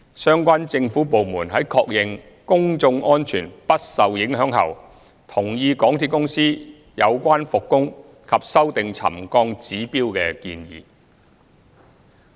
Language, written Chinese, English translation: Cantonese, 相關政府部門在確認公眾安全不受影響後，同意港鐵公司有關復工及修訂沉降指標的建議。, With confirmation that public safety would not be compromised the relevant government department agreed to MTRCLs proposal of works resumption and updating of trigger levels